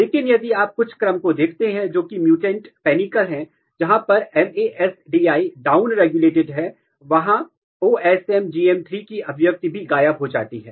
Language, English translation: Hindi, But if you look a panicle which is mutant panicle, where MADS1 is down regulated, the expression of OsMGH3 also disappears